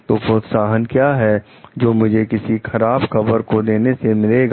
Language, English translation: Hindi, So, what is the incentives, so of reporting of bad news